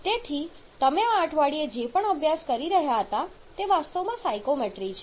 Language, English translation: Gujarati, So, whatever you are studying this week that is actually the psychometry